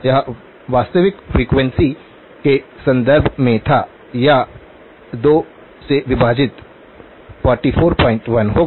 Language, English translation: Hindi, It was in terms of actual frequency it will be 44 point 1 divided by 2